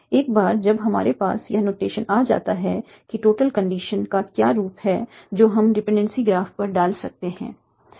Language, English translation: Hindi, So once we have this notation what are some of the formal conditions that we can put on the dependency graph